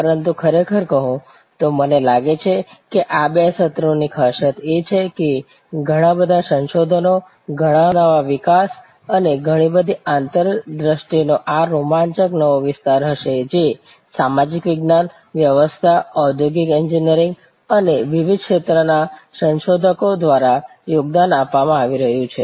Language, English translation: Gujarati, But, really speaking I think the highlight of these two sessions will be this exciting new area of lot of research, lot of new developments and lot of insights that are being contributed by researcher from social science, from management, from industrial engineering and from different other disciplines in the domain of service science